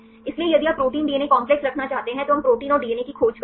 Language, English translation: Hindi, So, if you want to have the protein DNA complexes, we search for the proteins and DNA